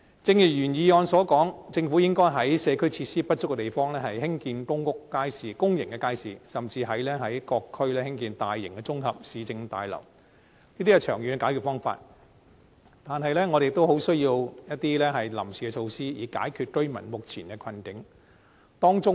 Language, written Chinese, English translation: Cantonese, 正如原議案所說，政府應該在社區設施不足的地方，興建公眾街市，甚至在各區興建大型綜合市政大樓，這些是長遠的解決方法，但我們亦需要一些臨時措施以解決居民目前的困境。, As mentioned in the original motion the Government should build public markets in places where community facilities are inadequate . It should even build large municipal services complexes in various districts . These are long - term solutions but we also need some interim measures to resolve the plight of the residents currently